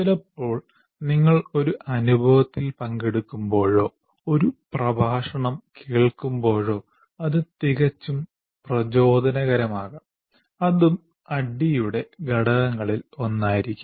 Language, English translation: Malayalam, See, sometimes when you participate in one experience or listen to a lecture, it could be quite inspirational and that also can be one of the elements of ADI